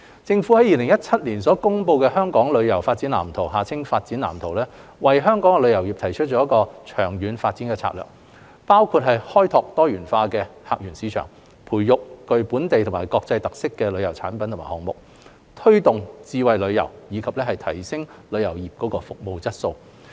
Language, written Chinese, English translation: Cantonese, 政府於2017年公布的《香港旅遊業發展藍圖》為香港旅遊業提出長遠發展策略，包括開拓多元化客源市場、培育具本地及國際特色的旅遊產品及項目，推動智慧旅遊，以及提升旅遊業服務質素。, The Government promulgated in 2017 the Development Blueprint for Hong Kongs Tourism Industry setting out the development strategies for the long - term development of Hong Kongs tourism including developing a diversified portfolio of visitor source markets nurturing tourism products and initiatives with local and international characteristics promoting the development of smart tourism and upgrading the service quality of tourism industry